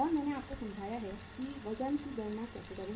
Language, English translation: Hindi, And I have say explained to you that how to calculate the weights